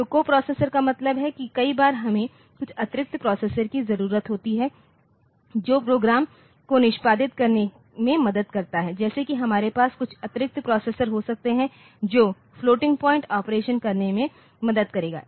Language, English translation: Hindi, So, coprocessor means that many a times we have got some additional processor that helps in executing programs like we can have some additional processor which will be doing this say the floating point operation